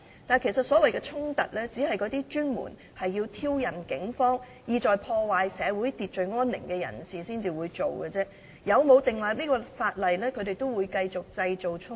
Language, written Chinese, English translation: Cantonese, 然而，所謂的衝突只是由那些專門挑釁警方，意在破壞社會秩序安寧的人製造的，所以無論立法與否，他們依然會繼續製造衝突。, However the so - called conflicts are created by people who always provoke the Police with intent to damage law and order and disrupt peace in Hong Kong society . Hence legislate or not these people will continue to create conflicts